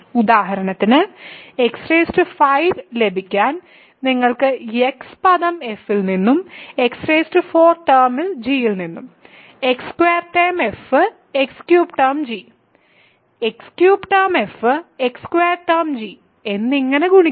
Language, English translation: Malayalam, For example, to get x power 5 you can multiply x term in f x power 4 term in g, x squared term in f x cubed term in g, x cubed term in f x square term in g and so on